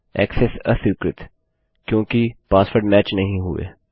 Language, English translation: Hindi, This is because the passwords do not match